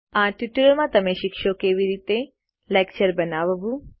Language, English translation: Gujarati, In this tutorial, you will learn how to: Create a lecture